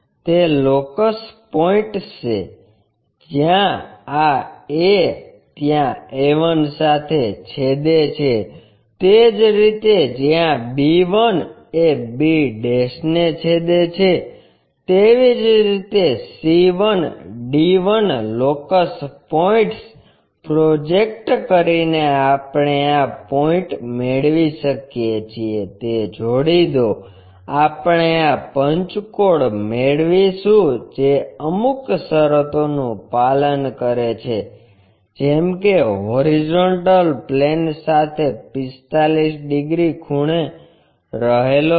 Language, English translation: Gujarati, Have those locus points where these a intersect with a call a1', similarly where b1 intersects with b' call b1', similarly c1, d1 by projecting locus points we can get these points, join them we will get this pentagon which is meeting this criteria like 45 degrees inclined to HP and the side making 30 degrees with vertical plane